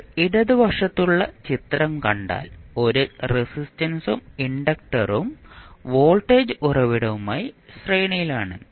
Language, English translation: Malayalam, Now, if you see the figure on the left you have 1 r resistance and inductor both are in series with voltage source vf